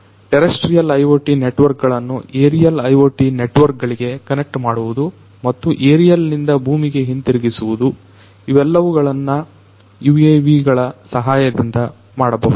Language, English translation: Kannada, So, you know connecting the terrestrial IoT networks to the aerial IoT networks and then sending back the signals from the aerial once to the ground; so, all of these could be done with the help of UAVs